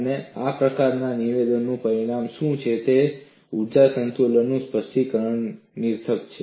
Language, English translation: Gujarati, And what is the consequence of this kind of a statement is that specification of energy balance is redundant